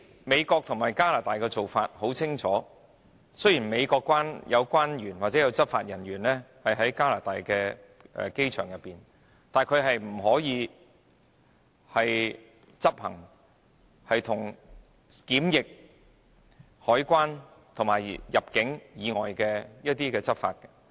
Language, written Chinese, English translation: Cantonese, 美國和加拿大的做法是很清楚的，雖然美國關員或執法人員會在加拿大的機場執勤，但他們不能執行與檢疫、海關和入境工作無關的執法工作。, The practice adopted in the United States and Canada is transparent . While customs officers or law enforcement officers from the United States will discharge duties at Canadian airports they are not allowed to carry out enforcement work not related to quarantine customs and immigration duties